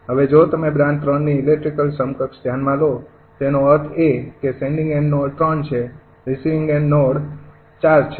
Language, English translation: Gujarati, now, if you consider electrical equivalent of branch three, that means sending end node is three, receiving end node is four